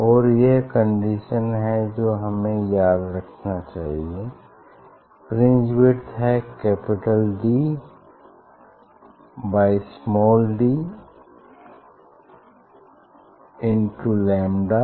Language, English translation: Hindi, and this is the condition we have to remember this fringe width capital D by small d into lambda